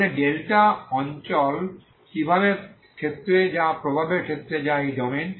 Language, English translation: Bengali, So what is the delta region the domain of influency that is the domain of influence that is this is the domain